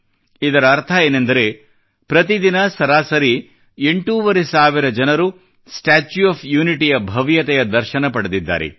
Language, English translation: Kannada, This means that an average of eight and a half thousand people witnessed the grandeur of the 'Statue of Unity' every day